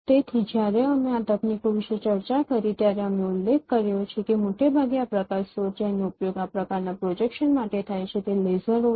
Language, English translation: Gujarati, So when we discussed about this techniques we mentioned that mostly the light source what is used for this kind of projection is lasers